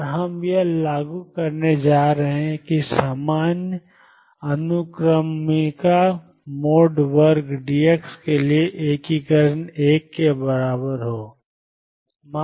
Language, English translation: Hindi, And we are going to enforce that integration for the same index mode square d x be equal to 1